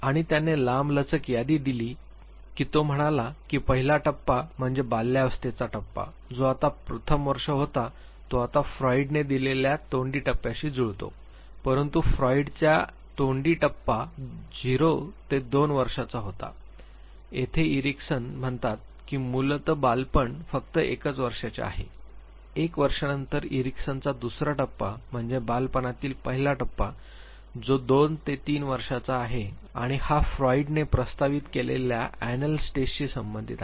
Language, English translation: Marathi, And he gave longer list he said that the first stage is the stage of infancy that is the first year now this corresponds to the oral stage given by Freud, but Freud’s oral stage was 0 to 2 years where as Erickson says that infancy basically is of only one year then Erickson’s second stage is the early childhood stage which is 2 to 3 years and this corresponds with the anal stage that Freud had proposed